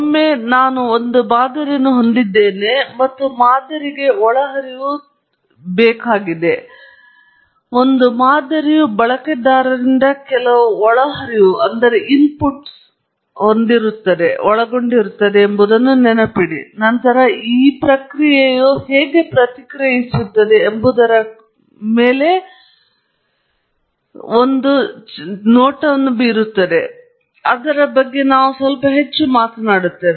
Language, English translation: Kannada, Once I have a model, and I know the inputs to the model remember that a model consists of certain inputs from the user and then, the model makes a prediction of how the process would respond, and we will talk more about it shortly